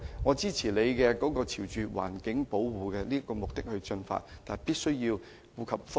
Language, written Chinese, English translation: Cantonese, 我支持政府朝環保的目標進發，但同時必須顧及各方的利益。, I support the Governments move towards the target of environmental protection . But at the same time it must cater for the interests of various parties